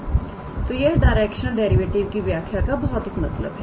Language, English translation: Hindi, So, that is what physically it means from the definition of directional derivative